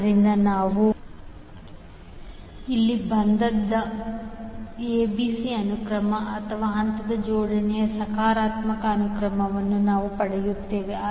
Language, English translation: Kannada, So, what we get here we get ABC sequence or the positive sequence of the phase arrangement